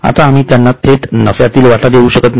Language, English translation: Marathi, Now we cannot directly give them share